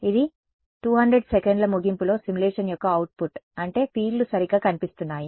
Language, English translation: Telugu, This is what the output of the simulation is at the end of 200 seconds this is what the fields look like right